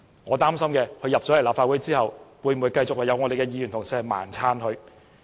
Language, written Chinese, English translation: Cantonese, 我擔心，他來到立法會後，會否繼續有議員“盲撐”他？, I am worried whether some Members will insist on supporting that person indiscriminately after he is elected to the Legislative Council